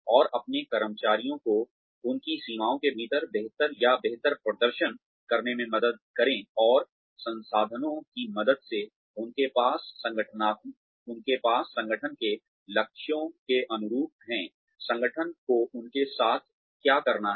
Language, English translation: Hindi, And, help their employees, perform better or optimally, within their limitations, and with the help of the resources, they have, in line with the goals of the organization, in line with, what the organization requires them to do